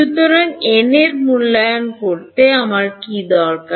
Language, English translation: Bengali, So, to evaluate E n what all do I need